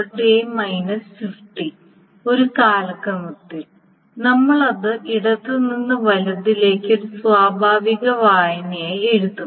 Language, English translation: Malayalam, So in a chronological order and we will write it from left to right as a natural reading